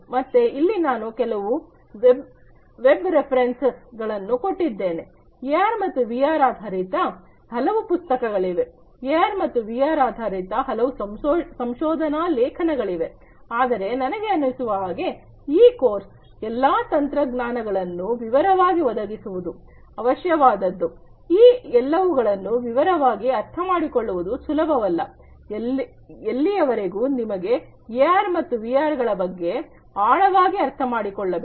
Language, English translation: Kannada, So, here I have given you some of the web references, but there are many books on AR and VR, there are many research papers on AR and VR, but I think for this course that, you know, going through in detail of each of these technologies is necessary, it is not easy to understand each of them in detail unless you want to really you know get an in depth understanding though about AR and VR